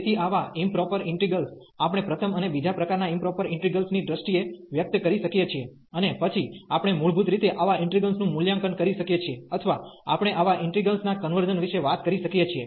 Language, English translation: Gujarati, So, such improper integrals of we can express in terms improper integrals of the first and the second kind, and then we can basically evaluate such integrals or we can talk about the convergence of such integrals